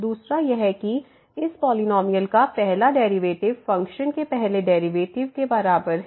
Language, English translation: Hindi, Second: that the first derivative of this polynomial is equal to the first derivative of the function